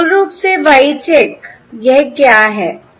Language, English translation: Hindi, So, basically, Y check